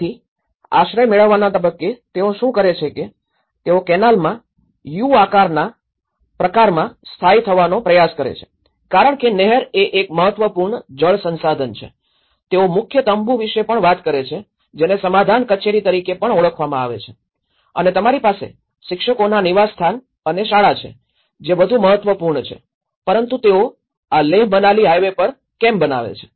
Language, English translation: Gujarati, So, at an asylum seeker stage what they do was they try to settle down in a kind of U shaped pattern in the canal because first of all canal is one of the important water resource and here, they also have talk about the tent of the head which is also referred as the settlement office and you have the teachers quarters and the school which are more important but why do they make this is a Leh Manali Highway